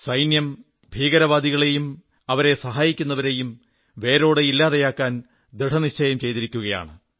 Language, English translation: Malayalam, The Army has resolved to wipe out terrorists and their harbourers